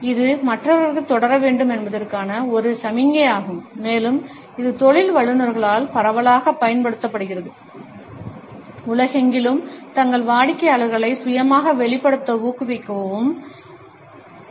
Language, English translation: Tamil, It is also a signal to others that you want them to continue and it is also widely used by professionals, the world over to encourager and motivate their clients to self disclose at length